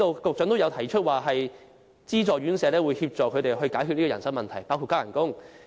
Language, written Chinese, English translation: Cantonese, 局長也曾經指出，資助院舍可協助解決人手問題，包括增加工資。, He once pointed out that subsidizing RCHEs could help resolve the manpower problem including a raise in their wages